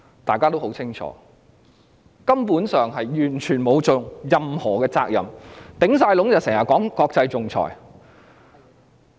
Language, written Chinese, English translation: Cantonese, 大家對此人十分清楚，她根本沒有履行任何責任，最多是整天說國際仲裁。, She has not fulfilled any of her responsibilities other than talking about international arbitration day in and day out